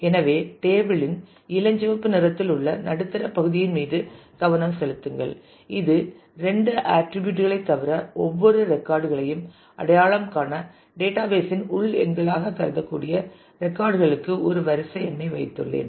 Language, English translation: Tamil, So, just focus on the middle part the pinkish part of the table which is table faculty besides the two attributes I have put a serial number for the records which kind of can be considered as internal numbers of the database to identify each record